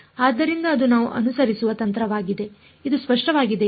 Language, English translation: Kannada, So, that is the strategy that we will follow is it clear